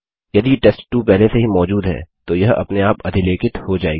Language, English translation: Hindi, If test2 already existed then it would be overwritten silently